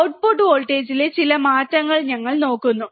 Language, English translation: Malayalam, We are looking at some change in the output voltage